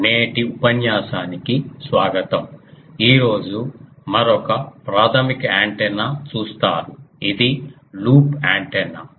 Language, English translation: Telugu, Welcome to today's lecture today will see another basic antenna which is a loop antenna